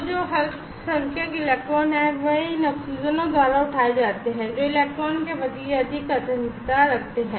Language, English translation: Hindi, So, the minority electrons that are there, those are taken up by the oxygen which have higher affinity towards the electron